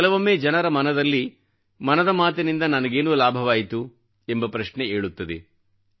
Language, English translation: Kannada, At times a question arises in the minds of people's as to what I achieved through Mann Ki Baat